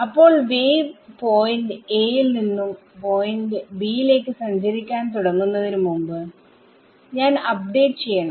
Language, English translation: Malayalam, So, before I before the wave travels from point a to point b is when I do my update right